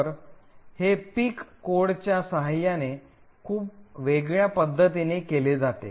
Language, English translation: Marathi, So, this is done very differently with a pic code